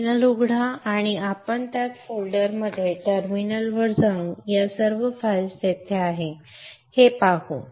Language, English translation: Marathi, Open a terminal and we will go into that folder through the terminal